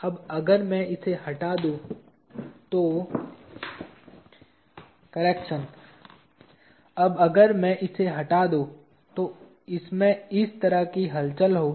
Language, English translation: Hindi, Now if I remove this, it will have movement of this sort